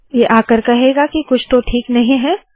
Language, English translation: Hindi, It will come and say that something is not okay